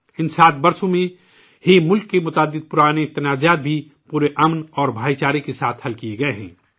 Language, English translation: Urdu, In these 7 years, many old contestations of the country have also been resolved with complete peace and harmony